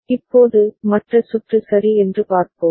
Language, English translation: Tamil, Now, let us look at the other circuit ok